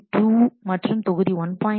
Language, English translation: Tamil, 2 and module 1